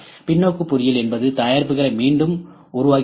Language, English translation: Tamil, Reverse engineering is reproducing the products